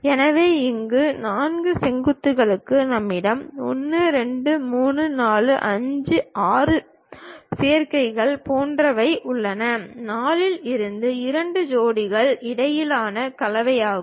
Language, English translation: Tamil, So, here for four vertices, we have a combination like 1 2 3 4 5 6 combinations we have; is a combination in between two pairs from out of 4 we have to construct